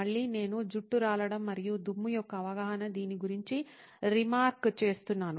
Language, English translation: Telugu, Again, I was remarking about this as perception of hair loss and dust